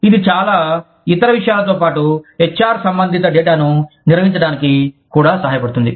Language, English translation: Telugu, Which also helps, manage the HR related data, in addition to a lot of other things